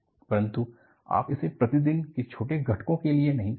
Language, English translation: Hindi, But, you do not do it for day to day small components